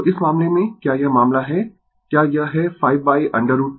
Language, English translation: Hindi, So, in this case, you are this case you are it is 5 by root 2 by 10 by root 2